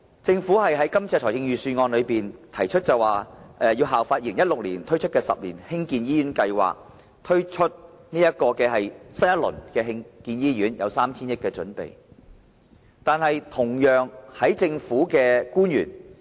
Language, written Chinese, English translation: Cantonese, 政府在預算案中提出，因應2016年推出的10年醫院發展計劃，籌備第二個10年醫院發展計劃，並為此預留 3,000 億元。, The Government states in the Budget that in view of the 10 - year hospital development plan introduced in 2016 it is working on the second 10 - year hospital development plan and will set aside 300 billion for this purpose